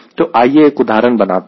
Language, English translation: Hindi, so let us solve one example